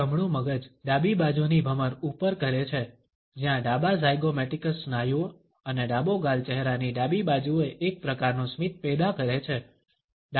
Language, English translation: Gujarati, The right brain rises the left side eyebrow, where left zygomaticus muscles and the left cheek to produce one type of smile on the left side of a face